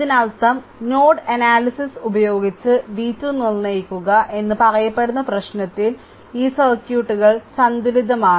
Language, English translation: Malayalam, This means these circuit is balanced in the problem it is said determine v 2 using node analysis